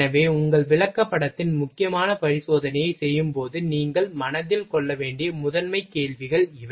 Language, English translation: Tamil, So, these are the primary questions you will have to keep in mind while doing your examination critical examination of your chart